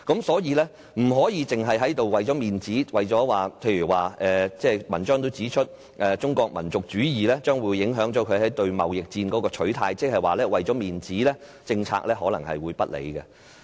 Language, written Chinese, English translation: Cantonese, 所以，我們不能只是為了面子；正如文章也指出，中國民族主義將會影響內地對貿易戰的取態，即是說，為了面子，政策可能不理性。, Hence we must not think about face - saving all the time . Well as the article says nationalism will affect the Mainlands attitude towards the trade war . In other words for the sake of face - saving it may follow an irrational policy